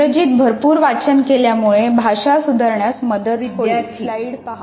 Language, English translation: Marathi, Reading widely in English will greatly improve your language